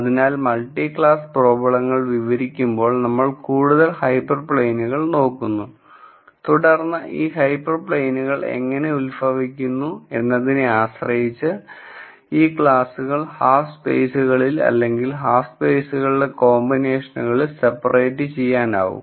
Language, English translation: Malayalam, So, when we describe multi class problems we look at more hyper planes and then depending on how we derive these hyper planes we could have these classes being separated in terms of half spaces or a combination of half spaces